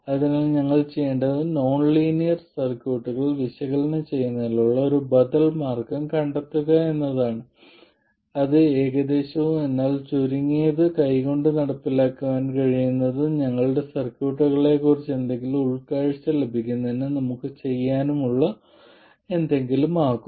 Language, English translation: Malayalam, So, what we will do is to find an alternative way of analyzing nonlinear circuits which is approximate but at least something that we can carry out by hand and that we need to be able to do in order to get any insights into our circuits